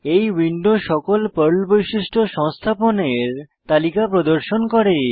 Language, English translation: Bengali, This window lists all the PERL features that get installed